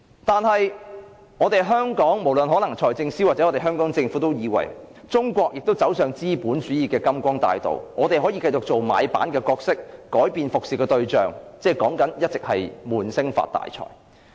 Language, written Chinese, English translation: Cantonese, 但是，在香港，無論財政司司長或政府都以為，中國走上資本主義的金光大道，我們可以繼續做買辦的角色，改變服務的對象，即一直說的"悶聲發大財"。, However in Hong Kong both the Financial Secretary and the Government believe that China has embarked on the golden path of capitalism and we can continue to play the role of a comprador with a different service target and that is to keep our mouth shut and make a fortune